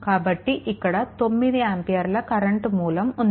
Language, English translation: Telugu, So, 9 ampere this is the 9 ampere current source